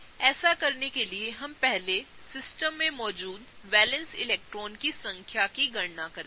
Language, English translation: Hindi, In order to do that we first calculate the number of valence electrons that are present in the system